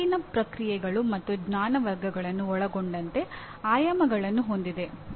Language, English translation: Kannada, It has dimensions including Cognitive Processes and Knowledge Categories